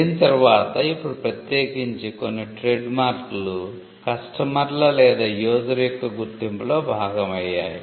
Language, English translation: Telugu, And now especially for certain marks becoming a part of the customers or the user’s identity itself